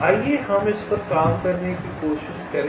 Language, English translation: Hindi, lets try to work out this